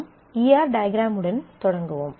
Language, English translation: Tamil, So, we start with the E R diagram